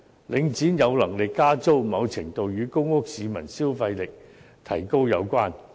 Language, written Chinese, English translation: Cantonese, 領展有能力加租，某程度上與公屋市民消費力提高有關。, To a certain extent Link REITs capacity for raising the rents is related to the increase in spending power of public housing residents